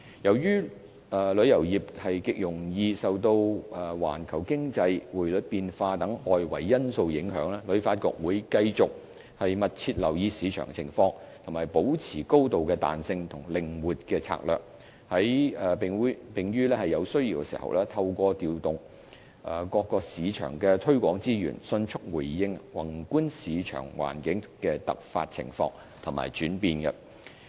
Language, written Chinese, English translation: Cantonese, 由於旅遊業極容易受環球經濟、匯率變化等外圍因素影響，旅發局會繼續密切留意市場情況，保持高度彈性和靈活的策略，並於有需要時，透過調動各個市場的推廣資源，迅速回應宏觀市場環境的突發情況和轉變。, As the tourism industry is susceptible to external factors such as global economic development and currency fluctuations HKTB will closely monitor the market situation and maintain high flexibility in the allocation of its resources . Where necessary it will promptly adjust the marketing resources for each source market in response to any emergency and unforeseeable changes in the macro environment